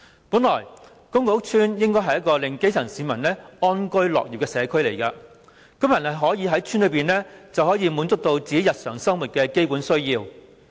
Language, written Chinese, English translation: Cantonese, 本來，公共屋邨應該是一個令基層市民安居樂業的社區，居民可以在邨內滿足日常生活的基本需要。, Public housing estates are supposed to be communities where the grass - roots people can live in peace and work with contentment and residents can meet their basic needs of daily living within the estates